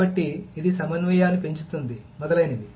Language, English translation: Telugu, So, this increases the concurrency, etc